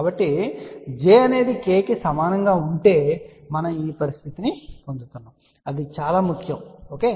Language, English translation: Telugu, So, that is very important if j is equal to k then actually speaking we are getting this condition, ok